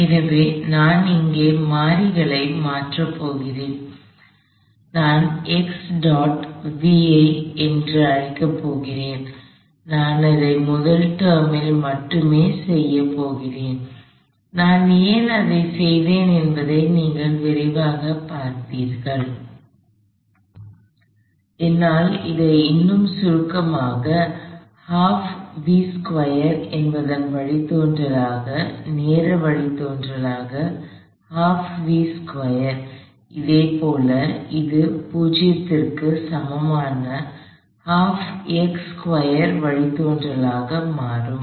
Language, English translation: Tamil, So, I am going to simply make a substitution of variables here, I am going to call x dot as some v, I am going to only do that in a first time and you will see quickly why I did that v times v dot is the I can write it more compactly as the derivative of half v squared, the time derivative of half v squared; likewise, this becomes the derivative of half x squared equal to 0